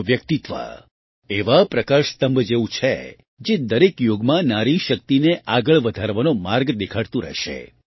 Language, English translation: Gujarati, Their personality is like a lighthouse, which will continue to show the way to further woman power in every era